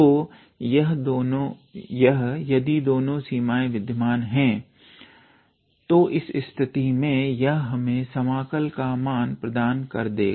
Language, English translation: Hindi, So, and if both of these 2 limits exist then in that case that will give us the value of the integral